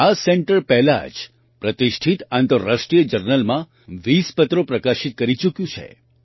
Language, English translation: Gujarati, The center has already published 20 papers in reputed international journals